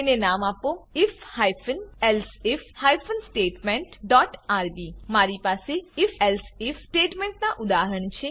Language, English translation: Gujarati, Name it if hyphen elsif hyphen statement dot rb I have a working example of the if elsif statement